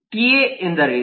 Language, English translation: Kannada, what is a ta